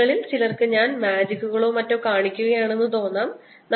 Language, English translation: Malayalam, some may, some of you may wonder maybe i am doing some magic or some cheating